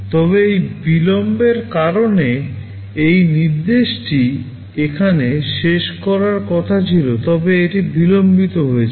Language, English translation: Bengali, But because of this delay this instruction was supposed to finish here, but it got delayed